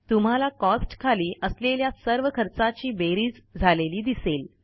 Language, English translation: Marathi, You see that all the items under Cost gets added